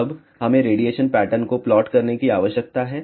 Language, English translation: Hindi, Now, we need to plot the radiation pattern